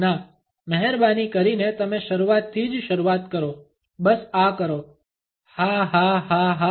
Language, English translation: Gujarati, No please you start from the very beginning just do this go ha ha ha ha